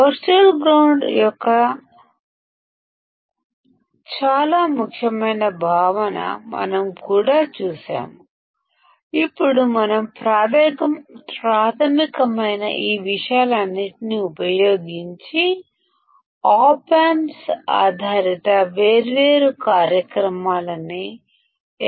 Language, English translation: Telugu, Very important concept of virtual ground we have also seen; now using all these things which are our basics how can we implement the different operations using op amps